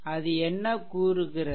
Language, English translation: Tamil, So, what it states